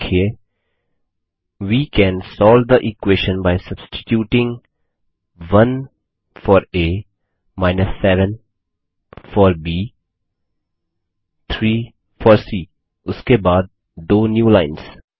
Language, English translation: Hindi, And type: We can solve the equation by substituting 1 for a, 7 for b, 3 for c followed by two newlines